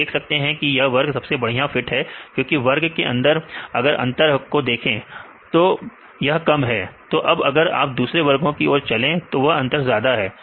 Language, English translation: Hindi, So, you can see this group is the best fit because within their group they difference is less now, if you go to other group the difference is more